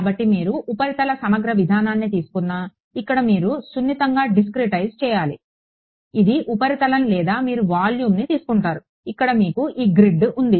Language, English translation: Telugu, So, whether you take the surface integral approach where you have to discretize finely over here or so this was surface or you take the volume, where you have this grid over here right